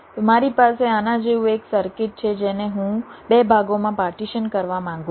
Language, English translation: Gujarati, so i have a circuit like this which i want to partition into two parts